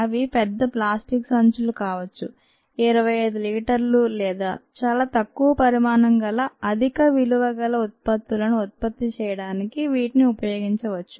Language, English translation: Telugu, they could be large plastic bags with huge capacity of twenty five liters or so ah, which can be used for the production of low volume, high value products